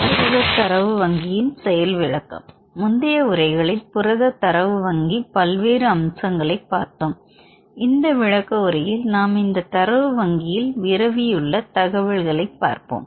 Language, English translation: Tamil, Demonstration on Protein Data Bank: in early lectures I discussed about various aspects of PDB that is Protein Data Bank and in this demonstration, we will mainly show about the information available in protein data bank